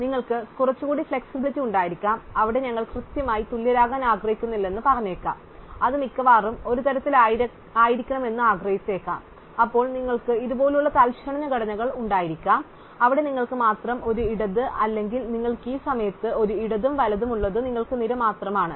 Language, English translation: Malayalam, So, you might have a little bit more flexibility, you might say there we do not want to be exactly equal, we may be wanted it to be at most one off, then you could have structures for instants like this, where you have only a left or you have at this point a left and right but you have only array